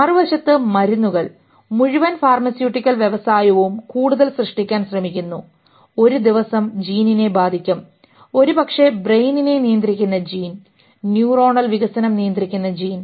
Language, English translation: Malayalam, Drugs on the other hand, whole pharmaceutical industry is trying to create more and someday we will affect gene, maybe the gene which controls brain, the gene which controls neuronal development